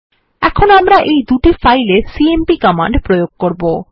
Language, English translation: Bengali, Now we would apply the cmp command on this two files